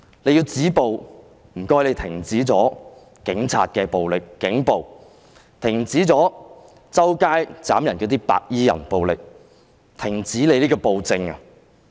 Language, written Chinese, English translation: Cantonese, 要止暴，請停止警員的暴力，停止四處斬人的"白衣人"暴力，停止暴政。, To stop the violence please stop the violence inflicted by police officers stop the violence of the people clad in white who chop people up everywhere and stop the tyranny